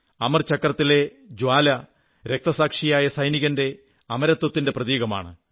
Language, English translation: Malayalam, The flame of the Amar Chakra symbolizes the immortality of the martyred soldier